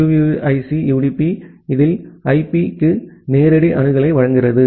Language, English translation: Tamil, And in QUIC UDP provide a direct access to IP